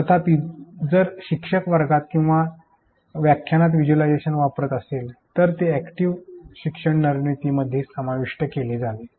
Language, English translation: Marathi, However, if the teacher is playing the visualization in the class or a lecture then active learning strategies should be incorporated